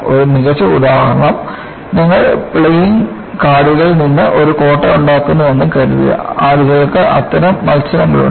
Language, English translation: Malayalam, A good example is, suppose you make a castle out of the playing cards; people have such competitions